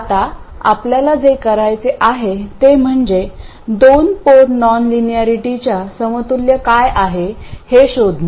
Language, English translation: Marathi, What we want to do now is to figure out what is the equivalent of a two port non linearity